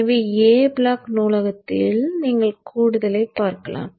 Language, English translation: Tamil, So in the A block library you see add